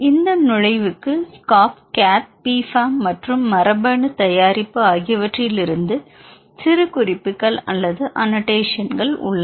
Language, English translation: Tamil, For this entry we have annotations from SCOP CATH P FAM as well as gene product annotations